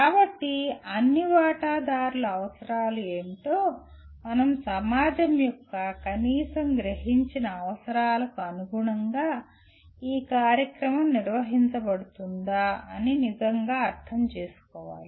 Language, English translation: Telugu, So one will have to really understand what are the needs of the all the stakeholders and whether the program is being conducted as per the at least perceived needs of the society at large